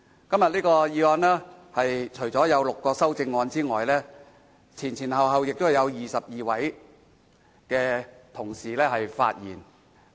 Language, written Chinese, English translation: Cantonese, 今天這項議案有6項修正案，先後有22位同事發言。, Today six amendments have been proposed to the motion and 22 Members have delivered speeches